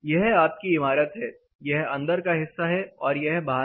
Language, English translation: Hindi, This is your building; this is in, this is out